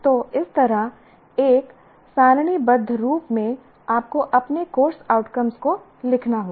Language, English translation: Hindi, So that is how in a tabular form like this, you have to create your, you have to write your course outcomes